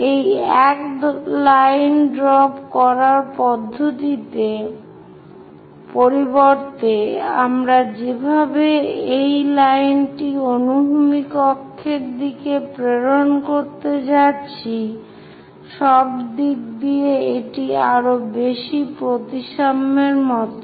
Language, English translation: Bengali, Instead of drawing dropping this one line all the way down, we are going to project this all the way this one line onto horizontal axis; it is more like by symmetry